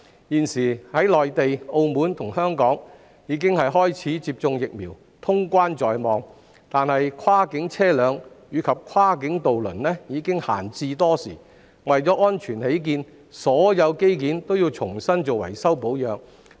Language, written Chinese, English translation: Cantonese, 現時內地、澳門及香港已開始接種疫苗，通關在望，但跨境車輛及跨境渡輪已閒置多時，為安全起見，業界須為所有機件重新進行維修保養。, With vaccination underway in the Mainland Macao and Hong Kong resumption of cross - boundary travel will not be far away . However since cross - boundary vehicles and ferries have lain idle for a long time the sector has to carry out maintenance and repair works to all mechanical parts afresh for the sake of safety